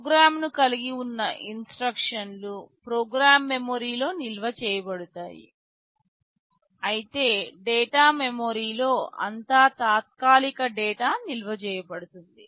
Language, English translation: Telugu, The instructions that constitute the program will be stored in the program memory, while all temporary data that will be stored in the data memory